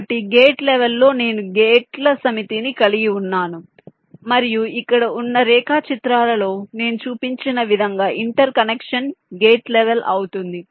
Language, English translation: Telugu, so at the gate level i have a set of gates and the interconnection as i have shown in the diagrams here